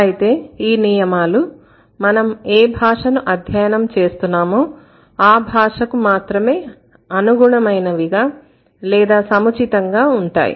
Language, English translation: Telugu, But those rules might be suitable or those rules might be appropriate for that particular language that you are studying